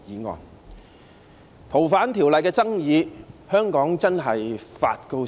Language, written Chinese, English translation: Cantonese, 從《逃犯條例》的爭議可見，香港真的發高燒。, As we can see from the controversies over the Fugitive Offenders Ordinance FOO Hong Kong is really having a high fever